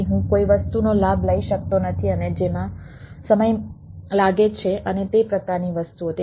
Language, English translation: Gujarati, so i cannot leave or a something and which takes time and type of things